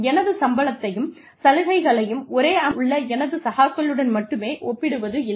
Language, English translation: Tamil, I will not only compare my salary and benefits, with my peers in the same organization